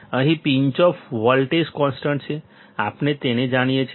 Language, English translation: Gujarati, Here Pinch off voltage is constant; we know it